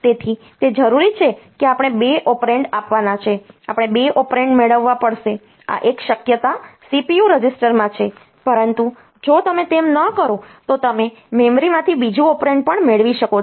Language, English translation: Gujarati, So, it is required that there are 2 operands we have to give we have to get 2 operands these one possibilities are in the CPU registers, but if you do not do that